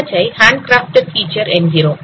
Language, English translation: Tamil, That is what is called handcrafted features